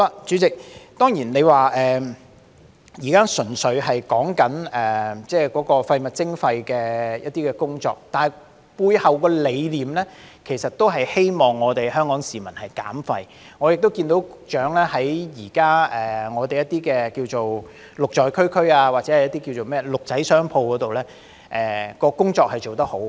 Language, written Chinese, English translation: Cantonese, 主席，當然我們現在純粹是討論有關廢物徵費的一些工作，但背後的理念其實是希望香港市民減廢，我也看到局長現時在一些名為"綠在區區"，或名為"綠仔商鋪"的工作是做得很好的。, President certainly we are now purely discussing the work relating to waste charging yet the philosophy behind is actually the hope that Hong Kong people can reduce waste . Also I notice that the Secretary has done a good job in certain programmes namely the GREEN@COMMUNITY and green stores